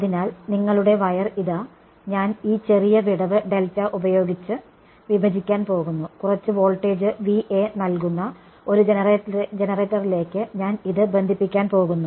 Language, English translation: Malayalam, So, one I have already sort of indicated to you that here is your sort of wire, I am just going to split it by a small gap delta and I am going to connect this to a generator which puts some voltage V A